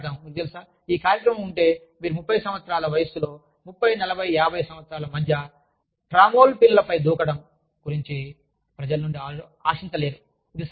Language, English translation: Telugu, We talk about, you know, if this program is, you cannot expect people, about the age of 30, between 30, 40, 50 years of age, to go jumping on trampolines